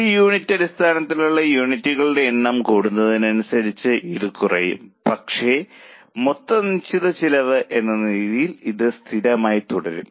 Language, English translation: Malayalam, It will keep on falling as the number of units increase on a per unit basis it will fall but as a total fixed cost it remains constant